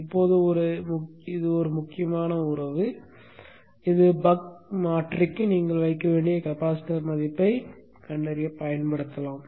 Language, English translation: Tamil, Now this is a important relationship which you can use for finding the value of the capacitance that you need to put for the buck converter